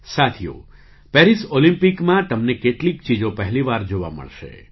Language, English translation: Gujarati, Friends, in the Paris Olympics, you will get to witness certain things for the first time